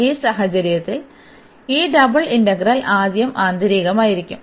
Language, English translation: Malayalam, So, in this case this double integral will be first the inner one